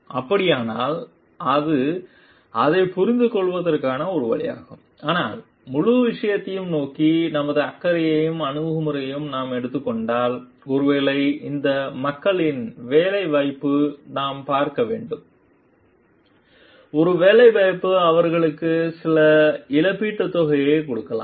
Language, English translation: Tamil, So, if that is so then that is one way of understanding it but, if we take our caring approach towards the whole thing what we find like maybe we have to see the employability of these people make them maybe give them certain compensation